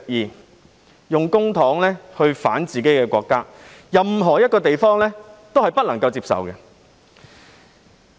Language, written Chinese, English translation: Cantonese, 利用公帑來反自己的國家，任何一個地方都不會接受。, No place will accept the use of public funds to oppose their own country